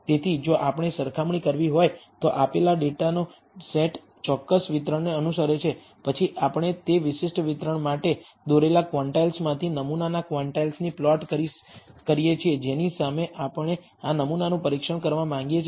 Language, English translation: Gujarati, Follows a certain distribution then we plot the sample quantiles from the quantiles drawn for that particular distribution against which we want to test this sample